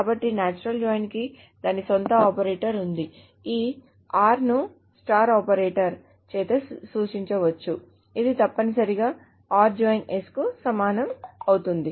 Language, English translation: Telugu, So natural join, by the way, has its own operator, this is R, it can be just denoted by this star operator